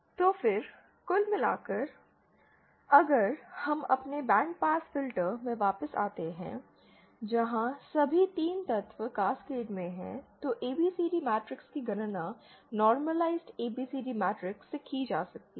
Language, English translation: Hindi, So then the overall, the total if we come back to our overall band pass filter where all 3 elements are in Cascade then the overall ABCD matrix can be calculated from the normalised ABCD matrix that is